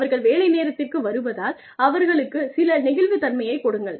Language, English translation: Tamil, Give them, some flexibility, with their coming in to work hours